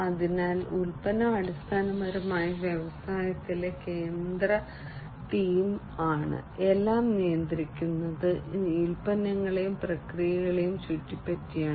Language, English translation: Malayalam, So, the product is basically the central theme in the industry, everything is governed around products and processes